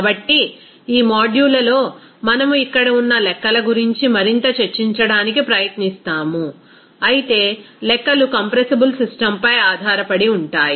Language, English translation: Telugu, So, in this module, we will try to discuss more about that the calculations here, but the calculations will be based on compressible system